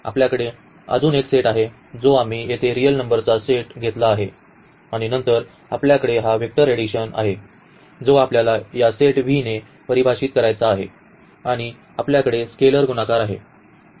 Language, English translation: Marathi, We have this set of V, we have another set which we have taken here the set of real numbers and then we will have this vector addition which we have to define with this set V and we have scalar multiplication